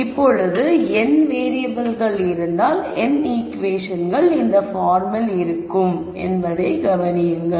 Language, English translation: Tamil, Now, notice that if there are n variables there will be n equations of this form